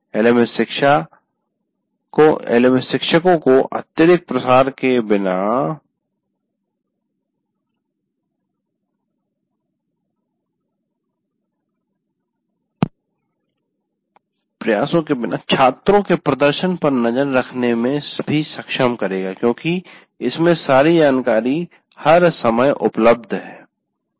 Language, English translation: Hindi, And LMS will also enable the teachers to keep track of students' performance without excessive effort